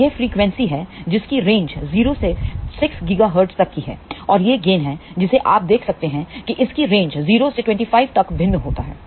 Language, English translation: Hindi, So, this is the frequency from 0 to 6 gigahertz and this is the gain value you can see that it varies from 0 to up to 25